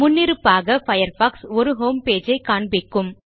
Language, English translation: Tamil, By default, Firefox displays a homepage